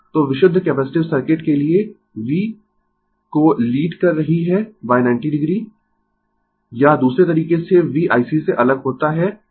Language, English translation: Hindi, So, I is leading V for purely capacitive circuit by 90 degree or other way V lefts from I C by 90 degree right